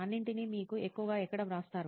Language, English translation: Telugu, Where all do you write those mostly